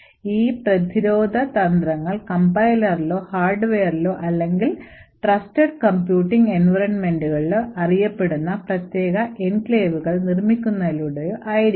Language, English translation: Malayalam, So, these defence strategies could be present either at the Compiler or at the Hardware or by building special enclaves known as Trusted Computing Environments